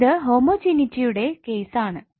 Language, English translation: Malayalam, Now what is homogeneity